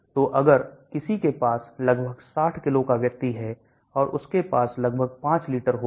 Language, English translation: Hindi, So if somebody has about 60 kg person and he or she will have about 5 liters